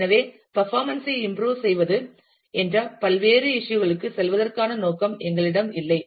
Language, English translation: Tamil, So, we do not have it in the scope to going to different issues of, how to improve performance